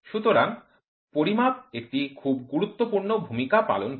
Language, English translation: Bengali, So, measurement plays a very very important role